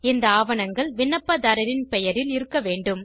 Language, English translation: Tamil, These documents should be in the name of applicant